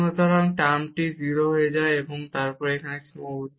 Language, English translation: Bengali, Because this term will go to 0 and something bound it is sitting here